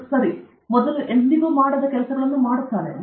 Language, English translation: Kannada, A creative person does things that have never been done before okay